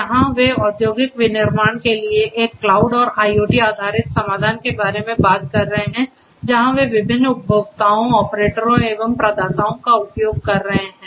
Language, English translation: Hindi, Here they are talking about a cloud and IoT based solution for industrial manufacturing where they are using different entities such as; the providers the consumers and the operators